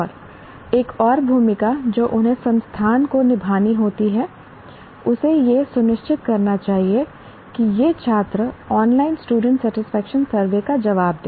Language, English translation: Hindi, And another role that they have to play the institute should ensure that its students respond to the online student satisfaction survey